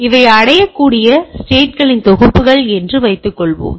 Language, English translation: Tamil, Suppose these are set of reachable states